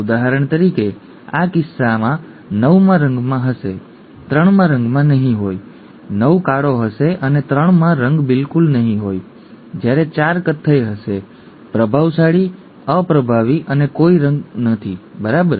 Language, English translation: Gujarati, For example in this case, 9 would have the colour, 3 will not have the colour, 9 would 9 would be black, and 3 would not have the colour at all whereas 4 would be brown; the dominant, recessive and no colour at all, right